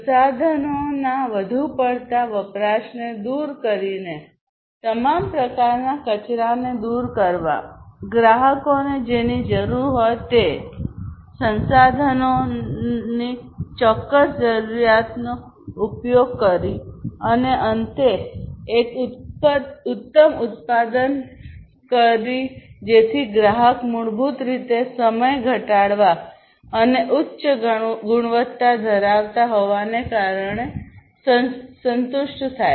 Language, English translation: Gujarati, Whatever the customer needs targeting that, eliminating the over usage of different resources, use whatever resources are precisely required eliminate all kinds of wastes, and finally produce a good which the customer basically would be satisfied with more in reduce time and having higher quality